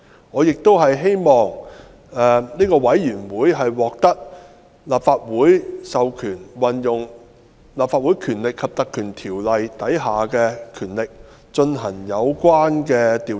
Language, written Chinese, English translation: Cantonese, 我亦希望該委員會獲立法會授權，運用《立法會條例》第92條下的權力進行有關調查。, I also hope that the select committee be authorized to exercise the powers under section 92 of the Legislative Council Ordinance Cap . 382 to carry out the investigation